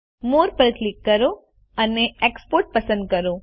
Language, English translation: Gujarati, Click More and select Export